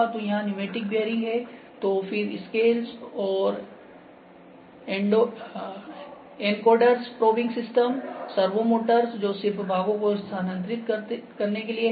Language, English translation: Hindi, So, we have pneumatic bearings here; so, then scales and encoders, probing system, servo motors, which are just making the parts to move